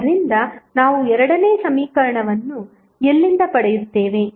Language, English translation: Kannada, So, from where we will get the second equation